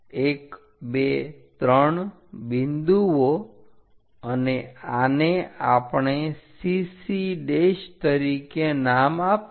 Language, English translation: Gujarati, 1 2 3 points and this one we named it as CC dash